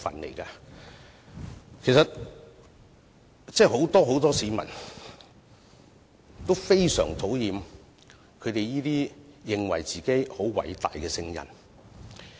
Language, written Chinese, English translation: Cantonese, 其實，很多市民都非常討厭這些自認偉大的"聖人"。, In fact many members of the public dislike these self - proclaimed saints